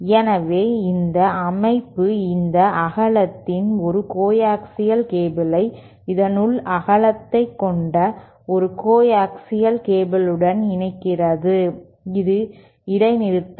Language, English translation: Tamil, So, this structure that kind of connects a coaxial cable of this width to a coaxial cable of this inner width, this is that discontinuity